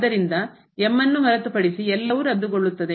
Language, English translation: Kannada, So, everything other than this will cancel out